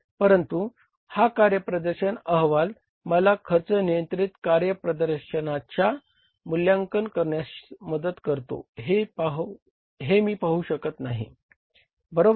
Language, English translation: Marathi, But I can't see how this performance report helps me evaluate cost control performance